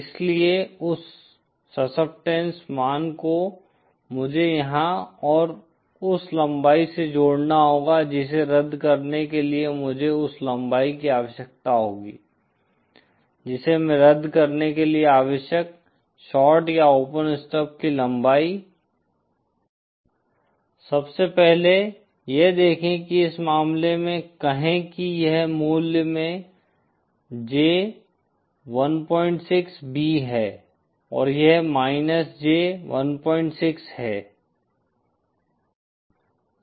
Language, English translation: Hindi, So that succeptance value I have to connect here and the length that I would need for cancelling that, this length of the shorted or open stub that I would need for cancelling wouldÉ First of all, see this is, say in this case this is J 1